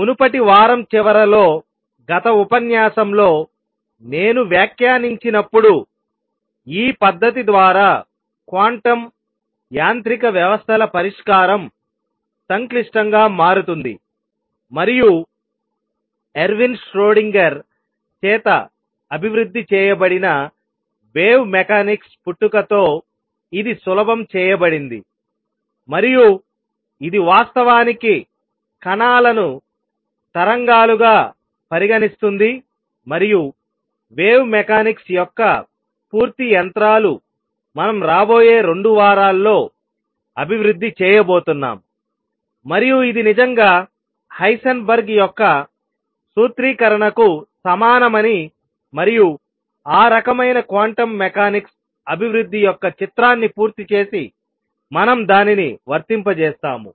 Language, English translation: Telugu, However as I commented towards the end of the last lecture, previous week, solution of quantum mechanical systems through this method becomes complicated and it was made easy with the birth of wave mechanics which was developed by Ervin Schrodinger and it actually treated particles like waves and the full machinery of wave mechanics is what we are going to develop over the next 2 weeks and show that this indeed is equivalent to Heisenberg’s formulation and that kind of complete the picture of development of quantum mechanics and along the way we keep applying it